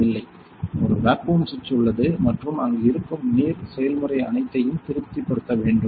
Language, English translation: Tamil, No, one vacuum switch is there and the water process which is there that should be all should be satisfied